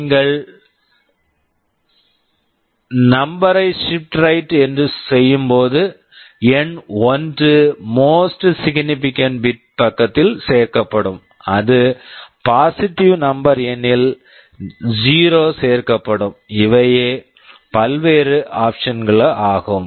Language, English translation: Tamil, And, arithmetic shift right means if it is a negative number when you shift right, 1 will be added to the most significant bit side if it is positive number 0 will be added, these are the various options